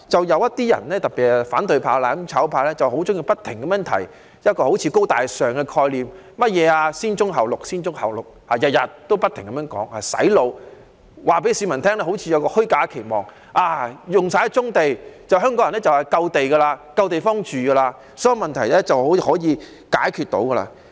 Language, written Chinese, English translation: Cantonese, 有些人，特別是反對派、"攬炒派"，很喜歡不停提出"高大上"的概念，不停"洗腦"式地說甚麼"先棕後綠"，似乎想給市民一個虛假的期望，當棕地用盡後，香港人便有足夠的土地和足夠的地方居住，所有問題便可以解決。, Some people especially those from the opposition camp and the mutual destruction camp like bringing up high - end and groovy concepts incessantly and reiterating brown before green in a brainwashing manner . This seems to have given a false expectation that after all the brownfield sites are used up Hong Kong people will have adequate land and place for living and all the problems can then be resolved